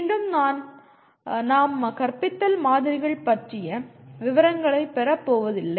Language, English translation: Tamil, Once again we are not going to get into the details of models of teaching